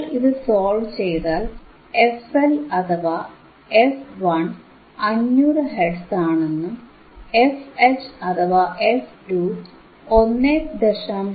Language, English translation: Malayalam, So, when you see this, you solve it and you will find that f HL or f 1 is 500 hertz, fH or f 2 is 1